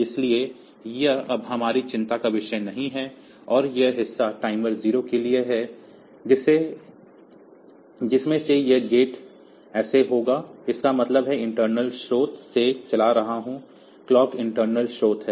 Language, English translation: Hindi, So, that is not our concern now and this part is for timer 0 out of that this is the gate so; that means, I am driving for from internal source the clock is internal source